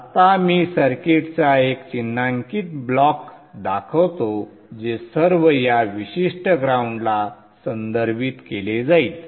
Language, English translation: Marathi, Now let me just show a simple blocks of the circuit so that all would be referred to this particular ground